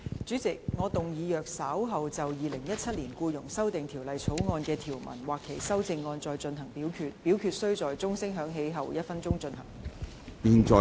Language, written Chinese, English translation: Cantonese, 主席，我動議若稍後就《2017年僱傭條例草案》所提出的條文或其修正案再進行點名表決，表決須在鐘聲響起1分鐘後進行。, Chairman I move that in the event of further divisions being claimed in respect of any provisions of or any amendments to the Employment Amendment Bill 2017 this committee of the whole Council do proceed to each of such divisions immediately after the division bell has been rung for one minute